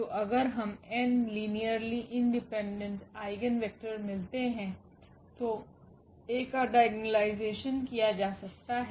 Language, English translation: Hindi, So, if we get n linearly independent eigenvectors then A can be diagonalized